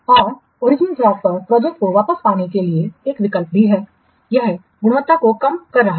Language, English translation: Hindi, And one option is also there to get back the project onto the original track that is reducing the quality